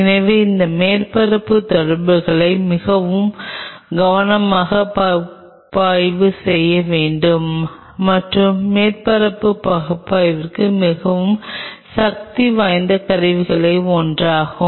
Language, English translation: Tamil, So, one needs to analyze this surface interactions very carefully and for surface analysis one of the most powerful tool